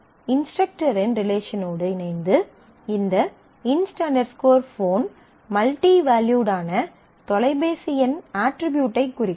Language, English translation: Tamil, And then this inst phone in conjunction with the instructor relation will actually denote the multi valued phone number attribute